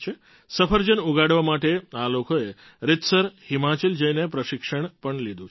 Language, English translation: Gujarati, To learn apple farming these people have taken formal training by going to Himachal